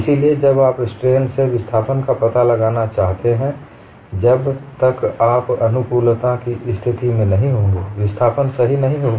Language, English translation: Hindi, So, when you want to find out displacement from strain, unless you bring in compatibility conditions, the displacement will not be correct